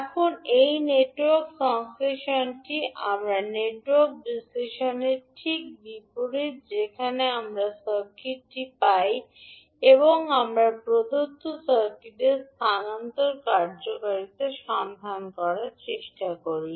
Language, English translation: Bengali, Now this Network Synthesis is just opposite to our Network Analysis, where we get the circuit and we try to find out the transfer function of the given circuit